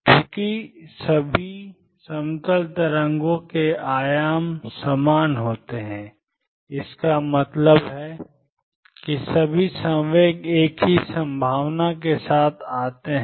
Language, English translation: Hindi, Since the amplitudes of all plane waves are the same; that means, all momentum come with the same probability